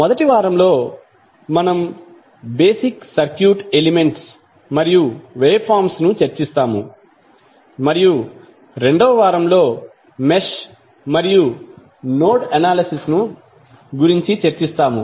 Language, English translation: Telugu, First week, we will go with the basic circuit elements and waveforms and week 2 we will devote on mesh and node analysis